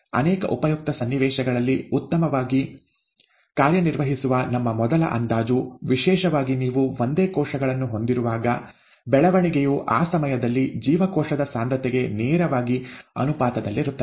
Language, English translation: Kannada, Our first approximation that works well in many useful situations, especially when you have single cells, is that the growth is directly proportional to the cell concentration at that time